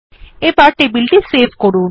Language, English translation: Bengali, Let us now save the table